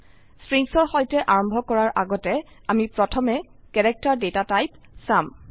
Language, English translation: Assamese, Before starting with Strings, we will first see the character data type